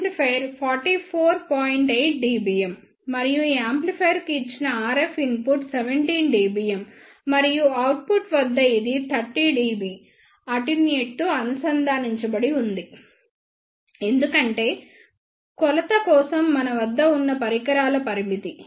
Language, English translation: Telugu, 8 dBm and the RF input given to this amplifier is 17 dBm and at the output this is connected with the 30 dB attenuator because of the limitation of the instruments that we have for the measurement